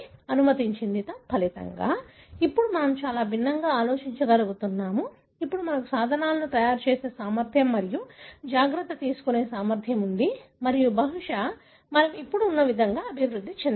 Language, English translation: Telugu, As a result, now we are able to think very differently, we have the ability now to make tools and take care and probably we have evolved the way we are now